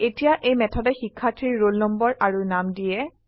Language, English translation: Assamese, Now, this method will give the roll number and name of the Student